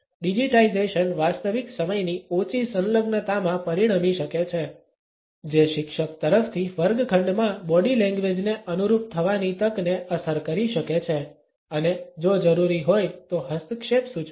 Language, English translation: Gujarati, Digitization may result in lesser real time engagements, which may affect the opportunity on the part of a teacher to adapt to the body language in a classroom and suggest intervention if it is required